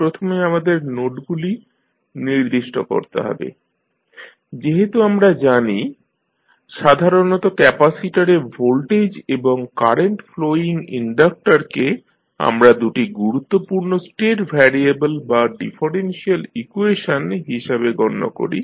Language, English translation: Bengali, First we have to specify the nodes, so, as we know that generally we consider the voltage across capacitor and current flowing inductor as the two important state variable or the differential equations